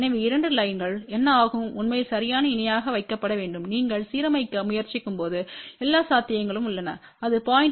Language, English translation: Tamil, So, what happens the two lines have to be really put exact parallel and there is all the possibility when you are trying to align this there may be an error of even 0